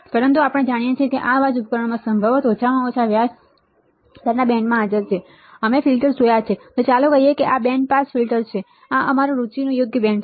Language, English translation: Gujarati, But if we know that these are the noises possibly present in the system at least in the band of interest rate right, we have seen filters and let us say this is the band pass filter this is a band of our interest correct, this is band of our interest